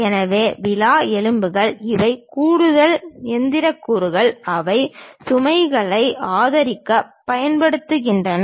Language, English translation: Tamil, So, ribs webs these are the additional machine elements, which we use it to support loads